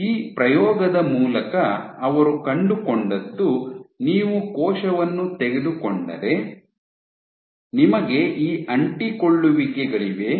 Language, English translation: Kannada, So, through this experiment what they found was if you take a cell, you have these adhesions